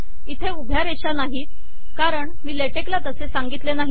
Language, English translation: Marathi, I dont have the vertical lines thats because I didnt tell latex to do that